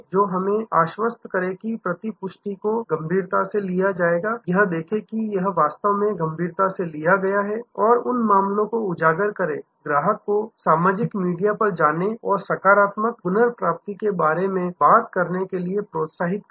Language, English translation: Hindi, Assure that the feedback is taken seriously see that, it is truly taken seriously highlight the cases, encourage the customer to go to the social media and talk about the positive recovery